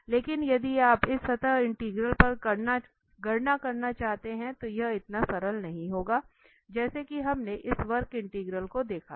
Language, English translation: Hindi, But if you want to compute over this surface integral, then this will not be that simple as we have seen this curve integral